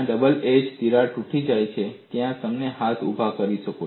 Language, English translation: Gujarati, Can you raise the hands where the double edge crack has broken